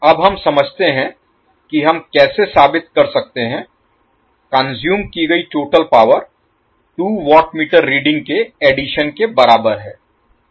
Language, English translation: Hindi, Now, let us understand how we can justify the total power consumed is equal to the sum of the two watt meter readings